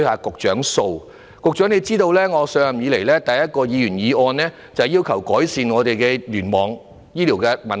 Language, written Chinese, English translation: Cantonese, 局長或許也知道，我上任以來首次提出一項議員議案，正是要求當局改善醫院聯網的問題。, The Secretary may be aware that the central issue of the very first motion I moved as a Member of this Council since I took office was about my requesting the authorities to improve the hospital cluster system